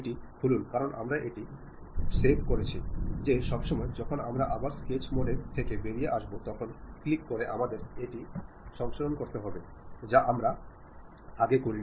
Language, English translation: Bengali, Open that because we have saved it the time when we click that sketch mode coming out of that again we have to save it we did not save it